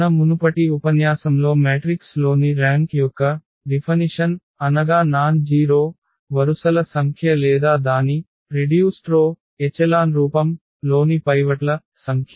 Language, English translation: Telugu, And the definition we start with which we have mentioned in one of our previous lecture that is the rank of a matrix is the number of nonzero rows or the number of pivots in its reduced row echelon forms